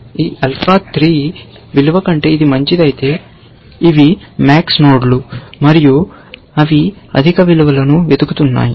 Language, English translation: Telugu, Only if it is better than this alpha 3 value, because these are max nodes, remember, and they are looking higher values